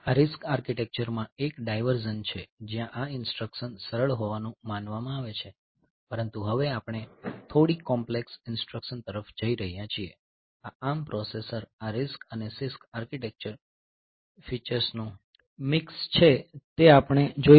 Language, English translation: Gujarati, So, this is a diversion from RISC architecture where these instructions where the instructions are suppose to be simple, but now we are going towards a bit complex instruction so, this ARM processor is a mix of this RISC and CISC architectural features so, we will see that